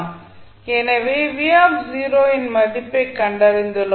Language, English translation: Tamil, So, we have found the value of v naught